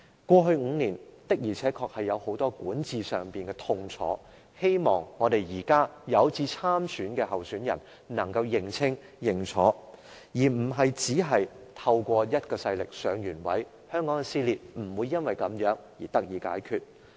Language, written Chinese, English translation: Cantonese, 過去5年，現屆政府的管治確實帶來很大痛楚，希望現時有志參選的人能夠認清問題，而非只憑藉某股勢力上位，因為這樣香港的撕裂問題是不會得到解決的。, Over the past five years we have lots of painful experiences in governance . We hope those intending to run in the Chief Executive Election can see the actual problems rather than seeking to win by counting on any forces because this will not enable them to solve the problem of social split in Hong Kong